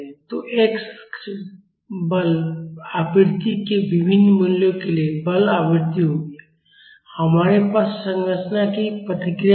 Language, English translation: Hindi, So, the x axis will be the forcing frequency for different values of forcing frequency, we will have the response of the structure